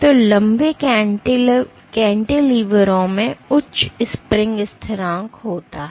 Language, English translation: Hindi, So, long cantilevers have higher spring constant